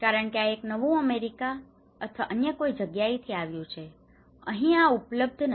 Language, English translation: Gujarati, Because this is a new came from America or somewhere else, this is not available in my place